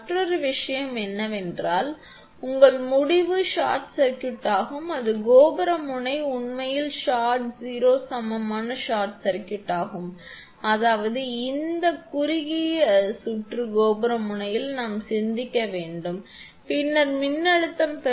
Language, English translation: Tamil, And another thing is that your end is short circuited that is the tower end actually that is short circuited that V r is equal to 0; that means, this as it short circuited tower end we have think where thinking then receiving in voltage V r is equal to 0